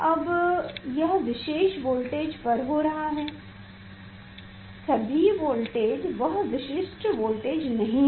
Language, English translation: Hindi, and that is happening at particular voltage not all voltage it is a particular voltage